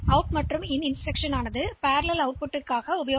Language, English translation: Tamil, So, this out and in instructions they are for parallel output